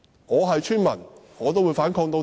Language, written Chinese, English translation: Cantonese, 我是村民的話也會反抗到底。, If I were a villager I would also fight to the end